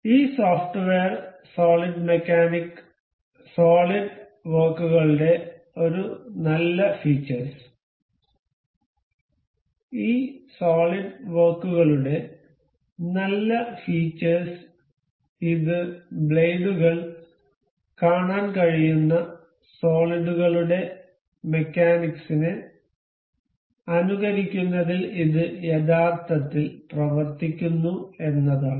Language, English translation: Malayalam, A good feature of this software solid mechanics solid works; good feature of this solid works is this actually works on it actually works as it simulates the mechanics of solids you can see the blades